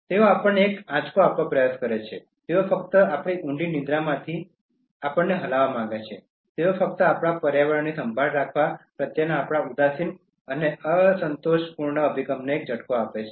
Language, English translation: Gujarati, They try to give us a jolt, they just want us to shake us from our deep sleep, they just give us a jolt to our indifferent and complacent approach towards caring for our environment